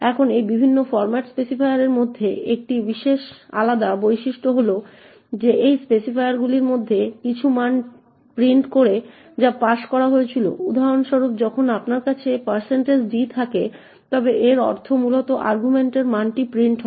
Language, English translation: Bengali, Now one distinguishing feature between these various formats specifiers is that some of these specifiers print the value that was passed for example when you have a %d it would essentially mean that the value in the argument gets printed